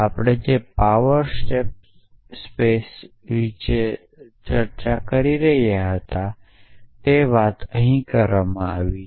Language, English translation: Gujarati, So, the power state space search that we talked about is essentially being done here in